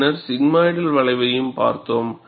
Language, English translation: Tamil, And we also saw sigmoidal curve